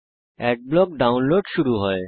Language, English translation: Bengali, Adblock starts downloading Thats it